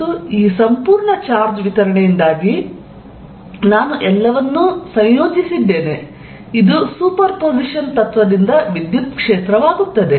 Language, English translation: Kannada, And due to this entire charge distribution, I just integrated all, this becomes the electric field by principle of super position